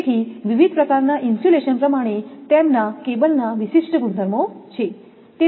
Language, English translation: Gujarati, So, different type of insulation their typical properties of cable